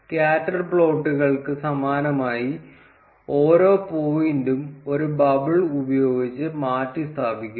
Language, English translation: Malayalam, Similar to scatter plots, each point, they are replaced by a bubble